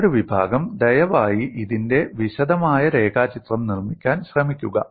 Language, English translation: Malayalam, The other category is, please try to make neat sketch of this